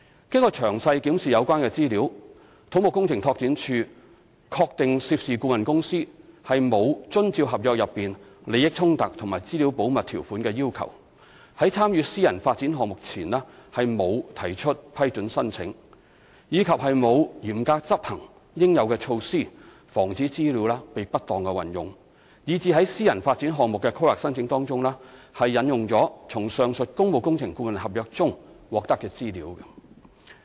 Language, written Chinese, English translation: Cantonese, 經詳細檢視有關資料，土木工程拓展署確定涉事顧問公司沒有遵照合約內利益衝突和資料保密條款的要求，在參與私人發展項目前沒有提出批准申請，以及沒有嚴格執行應有的措施防止資料被不當運用，以致在私人發展項目的規劃申請中引用從上述工務工程顧問合約中獲得的資料。, Having examined the relevant information in detail CEDD confirmed that the consultant involved did not comply with the conflict of interest and confidentiality provisions in the public works consultancy agreement in seeking prior approval for undertaking a private development project and did not follow strictly due measures in preventing improper use of information resulting in information obtained from the aforesaid public works consultancy agreement being quoted in the planning application of the private development project